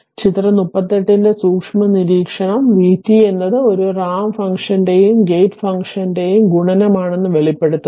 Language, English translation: Malayalam, So, a close observation of figure 38 it reveals that v t is a multiplication of a ramp function and a gate function